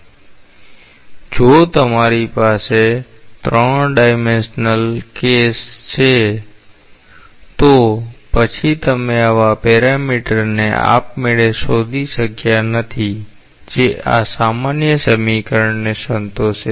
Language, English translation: Gujarati, So, if you had a 3 dimensional case; then you have not been possible to find out such a parameter automatically that satisfies this general equation